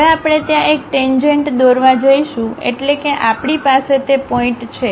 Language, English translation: Gujarati, Now, we are going to draw a tangent there so that means, we have that point